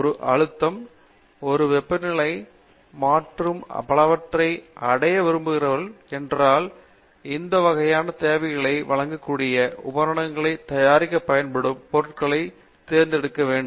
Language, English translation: Tamil, If you letÕs say, you want to achieve a pressure, certain temperature and so on, we need to select materials which will be used to fabricate the equipment which can deliver these kinds of requirements